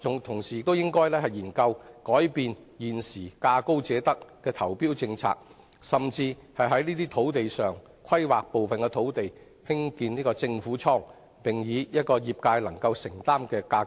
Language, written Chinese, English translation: Cantonese, 同時，政府應研究改變現時價高者得的投標政策，甚至規劃部分土地興建政府倉庫，以可負擔的租金水平出租予業界。, Meanwhile the Government should look into revising the current policy of awarding tender to the highest bidder . It may even plan the construction of government storage facilities at some sites which can be leased to the industry at affordable rents